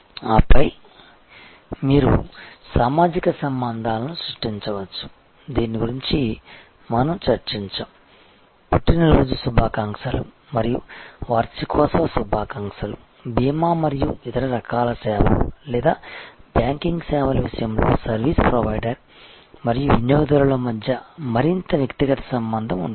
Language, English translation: Telugu, And then of course, you can create social bonds which we discussed you know birth day greetings and anniversary greetings, the more personal relationship between the service provider and the customer that often happens in case of insurance and other types of services or banking services